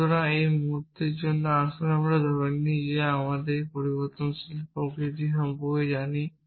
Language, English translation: Bengali, So, for the moment let us assume that we know the nature of a variable